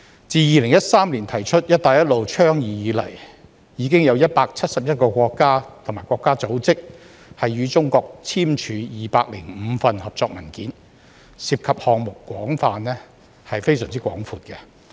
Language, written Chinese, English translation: Cantonese, 自2013年提出"一帶一路"倡議以來，已有171個國家及國際組織與中國簽署205份合作文件，涉及項目範圍非常廣闊。, Since the BR Initiative was first put forward in 2013 171 countries and international organizations have already signed with China 205 cooperation agreements involving projects of an extensive scope